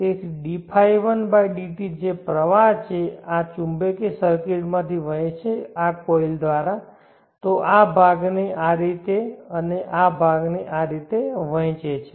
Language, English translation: Gujarati, 1/dt which is the flow, flows through this magnetic circuit through this coil it divides part in this fashion and part in this fashion